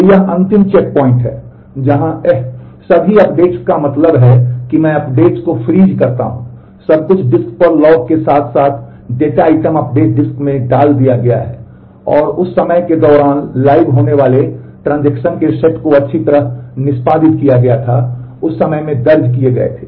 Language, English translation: Hindi, So, this is the last checkpoint where eh all updates I mean freezing the updates, everything was output to the disk the log as well as the data item updates were put to the disk and the set of transactions that are live during that time well execution in that time were recorded